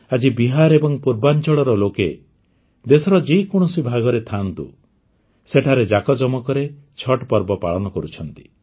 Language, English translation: Odia, Today, wherever the people of Bihar and Purvanchal are in any corner of the country, Chhath is being celebrated with great pomp